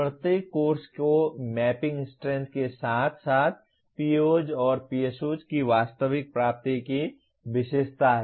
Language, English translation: Hindi, Each course is characterized by mapping strength as well as actual attainment of the POs and PSOs in this